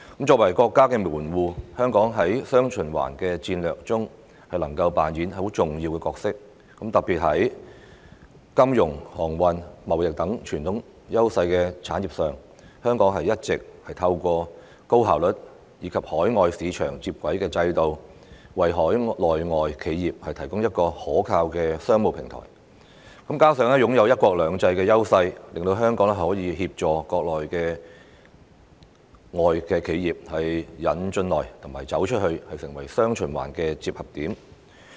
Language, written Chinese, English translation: Cantonese, 作為國家的門戶，香港在"雙循環"戰略中能夠扮演重要角色，特別是在金融、航運、貿易等傳統優勢產業上，一直透過高效率及與海外市場接軌的制度，為海內外企業提供一個可靠的商務平台；加上擁有"一國兩制"的優勢，令香港可以協助國內外企業"引進來"和"走出去"，成為"雙循環"的接合點。, As a gateway of the country Hong Kong can play a pivotal role in the dual circulation strategy . Particularly such traditional priority industries as finance transportation trading have been providing a reliable business platform for Mainland and overseas enterprises through a highly efficient system that integrates with the overseas markets . Coupled with the advantages under one country two systems Hong Kong is capable of assisting Mainland and foreign enterprises in attracting foreign investments and going global and becoming a meeting point of dual circulation